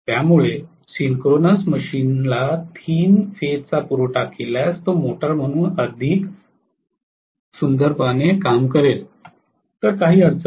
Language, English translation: Marathi, So if provide 3 phase supply to the synchronous machine, it will work very beautifully as a motor, there is no problem